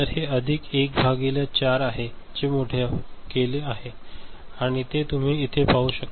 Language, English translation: Marathi, So, this is plus 1 upon 4 that is magnified, and you can see over here